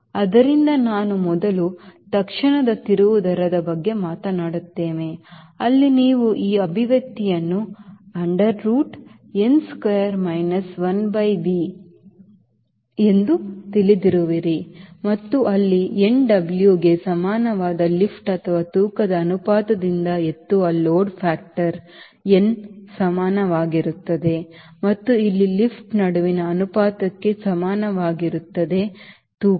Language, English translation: Kannada, so we will just talk about first instantaneous turn rate, where you know this expression: under root, n square minus one by v and where lift equal to n, w or the load factor n equal to lift by weight ratio, where n equal to ratio but lift and the weight